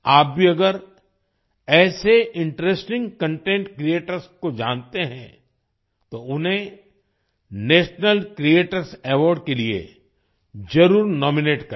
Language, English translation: Hindi, If you also know such interesting content creators, then definitely nominate them for the National Creators Award